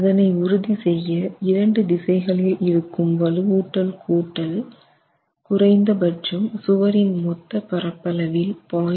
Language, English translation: Tamil, We need to ensure that the sum of the reinforcement in both the directions is at least 0